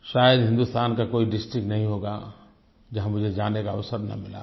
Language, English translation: Hindi, Perhaps there isn't a district in India which I have not visited